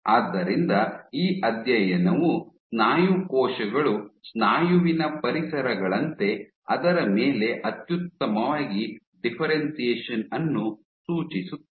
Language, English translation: Kannada, So, this study suggested that muscle cells differentiate optimally on muscle like environments